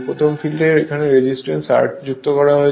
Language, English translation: Bengali, First case given, second case some resistance R is inserted